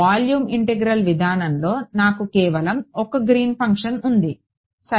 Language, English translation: Telugu, In the volume integral approach I have just one Green’s function alright ok